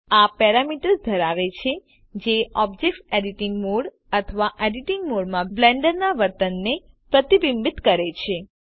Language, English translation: Gujarati, This contains parameters that reflect the behavior of Blender in Object editing mode or the Edit Mode